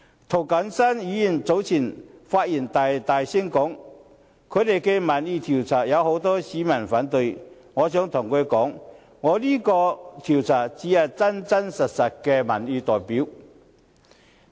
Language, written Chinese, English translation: Cantonese, 涂謹申議員早前發言時大聲表示，他們進行的民意調查顯示，有很多市民反對，我想告訴他，我這個調查才是有真實的民意代表性。, When Mr James TO was delivering his speech just now he said loudly that their opinion poll indicated that many people opposed the arrangement I wish to tell him that my survey is the only one representing the true public opinion